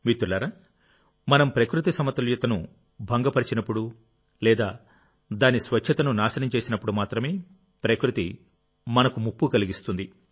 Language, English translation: Telugu, nature poses a threat to us only when we disturb her balance or destroy her sanctity